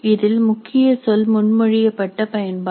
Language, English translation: Tamil, The key word is proposed use